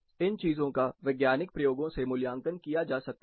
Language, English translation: Hindi, These things can be experimentally assessed